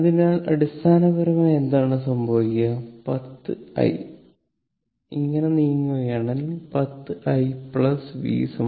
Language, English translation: Malayalam, So, it is basically what will happen, 10 i, if we move like this, 10 i plus v is equal to 0